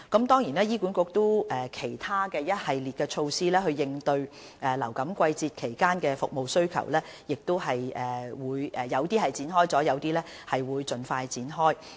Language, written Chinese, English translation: Cantonese, 當然，醫管局亦有其他一系列措施，應對流感季節的服務需求，有些措施已經展開，有些亦會盡快展開。, HA has also formulated a series of other measures to meet the demand for services in the influenza season . Some of these measures are already in place and others will be launched very soon